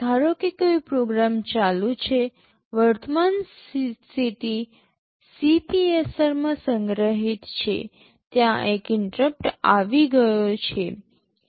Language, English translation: Gujarati, Suppose a program is running current status is stored in CPSR, there is an interrupt that has come